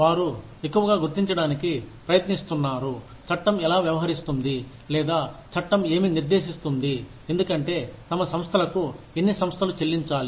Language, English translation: Telugu, They are increasingly trying to figure out, how the law deals with, or what the law prescribes for, how much organizations, should pay to their employees